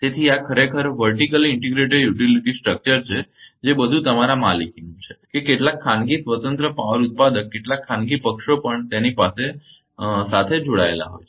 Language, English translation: Gujarati, So, right this is actually vertical integrated utility structure everything is owned by you with that some private independent power producer some private parties are also connected with that